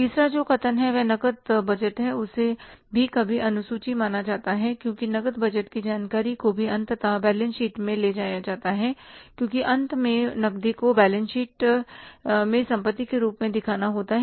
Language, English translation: Hindi, Third statement which is the cash budget is also considered as some time the schedule that that cash budget information also is finally taken to the balance sheet because finally the cash has to be shown as an asset in the balance sheet